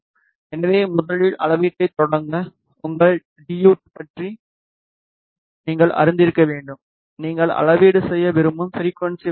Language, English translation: Tamil, So, to a start the measurement firstly, you should be knowing about your DUT, what is the frequency range in which you want to do the measurement